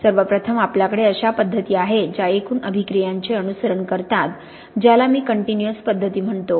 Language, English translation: Marathi, We can first of all have methods that follow the overall reaction which I call continuous methods